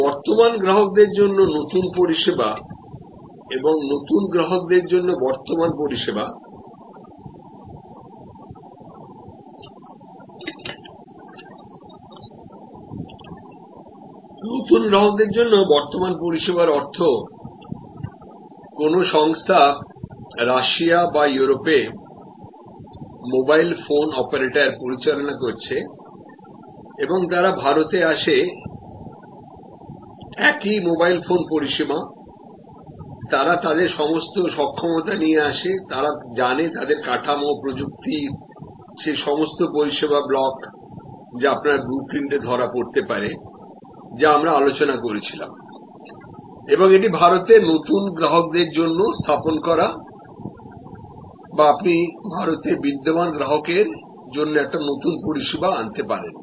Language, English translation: Bengali, So, new service to existing customer and existing service to new customer, existing service to new customer means that a company’s operating a mobile phone operator in Russia or in Europe and they come to India it is a same mobile phone service, they bring all their capability, they know how their infrastructure the technology all those service blocks, which you can capture on a blue print, which we were discussing and the deploy it for new customers in India or you can bring a new service to the existing customer in India